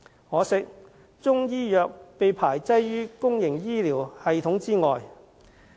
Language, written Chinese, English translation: Cantonese, 可惜，中醫藥被排擠於公營醫療系統之外。, It is regrettable that Chinese medicine is excluded from the public health care system